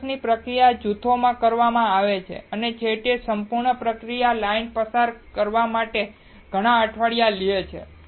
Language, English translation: Gujarati, Wafers are processed in groups and finally, typically takes several weeks for a lot, to pass the entire processing line